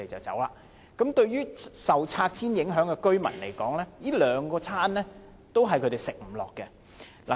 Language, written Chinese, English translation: Cantonese, 這對於受拆遷影響的居民來說，這兩個餐都是他們"吃不下"的。, These two sets are impossible for the residents affected by the removal and relocation to swallow